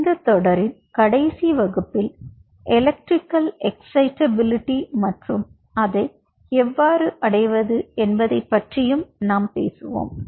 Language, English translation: Tamil, so in the last ah class in the series will talk the electrical excitability and how we achieve it